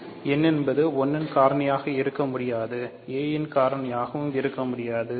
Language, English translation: Tamil, So, n cannot be a factor of 1 n cannot be a factor of a